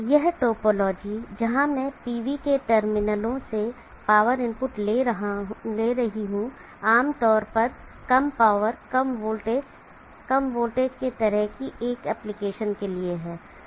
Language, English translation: Hindi, This topology where I am taking the power input from the terminals of the PV is generally for low power, low voltage, for low voltage king of an application